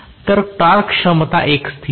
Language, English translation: Marathi, So, torque capability is a constant